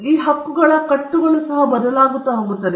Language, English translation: Kannada, And these bundles of rights also varies